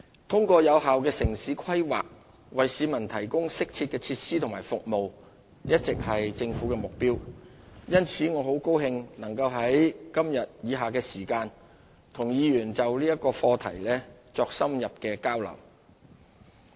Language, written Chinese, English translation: Cantonese, 通過有效的城市規劃為市民提供適切的設施和服務一直是政府的目標，因此我很高興能在以下時間與議員們就此課題作深入交流。, It has been the Governments objective to provide the public with appropriate facilities and services through effective town planning so I am pleased to be able to spend some time exchanging views with Honourable Members on the subject